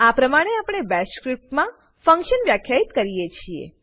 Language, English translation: Gujarati, This is how we defined a function in BASH script